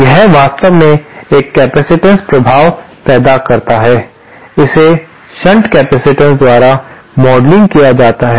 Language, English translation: Hindi, This actually produces a capacitive effect, it can be modelled by shunt capacitance